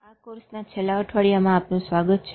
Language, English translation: Gujarati, So, welcome to the last week of this course